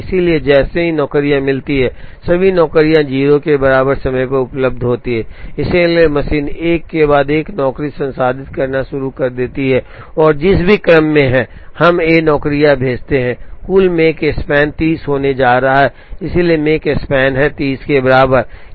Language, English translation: Hindi, So, as soon as the jobs, all the jobs are available at time equal to 0, so the machine starts processing 1 job after another and in whatever order, we send these jobs, the total Makespan is going to be 30, so Makespan is equal to 30